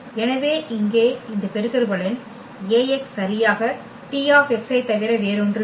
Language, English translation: Tamil, So, this product here Ax will be exactly this one which is nothing but the T x